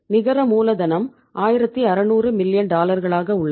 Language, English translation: Tamil, That net working capital is that is 1600 million dollars